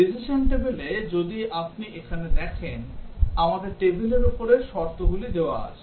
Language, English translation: Bengali, In the decision table, if you see here, we have the conditions appearing at the top of the table